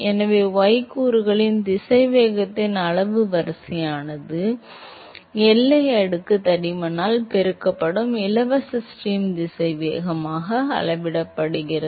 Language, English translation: Tamil, So, the order of magnitude of the y component velocity is scaled as the free stream velocity multiplied by the boundary layer thickness alright